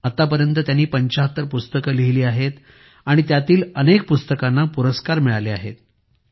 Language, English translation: Marathi, He has written 75 books, many of which have received acclaims